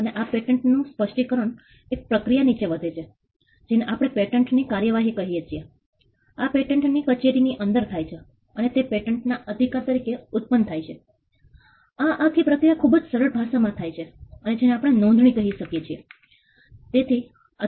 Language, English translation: Gujarati, And this patent specification under grows a process what we call patent prosecution within the patent office and it emanates as a patent right this entire process in a very simple language we can call it registration